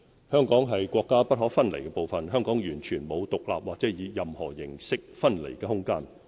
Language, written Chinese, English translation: Cantonese, 香港是國家不可分離的部分，香港完全沒有獨立或以任何形式分離的空間。, Hong Kong is an inalienable part of our country . There is absolutely no room for independence or any form of separation